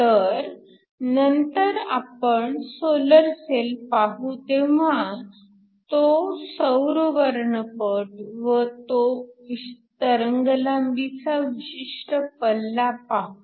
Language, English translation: Marathi, So, later when we look at the solar cell we will see that solar spectrum and what is the wavelength spread